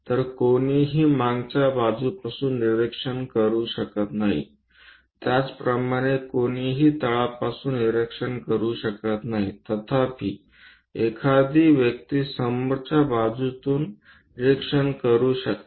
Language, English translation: Marathi, So, one cannot observe it from back side similarly, one cannot observe it from bottom side; however, one can observe the object from front side